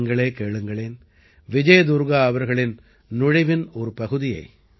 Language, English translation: Tamil, Do listen to this part of Vijay Durga ji's entry